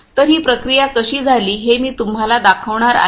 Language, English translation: Marathi, So, I am going to show you how this processing is done